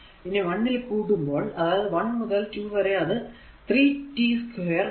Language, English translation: Malayalam, So, 1 to 2 it will be 3 t square into dt